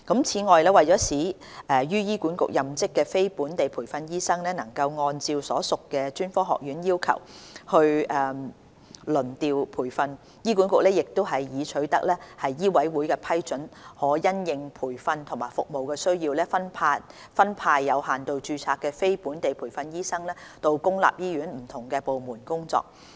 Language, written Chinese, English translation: Cantonese, 此外，為使於醫管局任職的非本地培訓醫生能按照所屬專科學院的要求輪調培訓，醫管局亦已取得醫委會批准，可因應培訓及服務需要分派有限度註冊的非本地培訓醫生到公立醫院的不同部門工作。, Besides to enable the non - locally trained doctors working in HA to undergo trainee rotation as required by the relevant colleges under HKMA HA has obtained approval from MCHK to assign non - locally trained limited registration doctors to work in different departments of public hospitals in accordance with their training needs and service demand